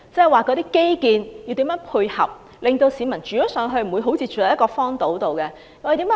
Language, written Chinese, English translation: Cantonese, 換言之，基建要怎樣配合，令市民不會像住在荒島上一般。, In other words infrastructure facilities must be developed so that residents will not be living in an uninhabited island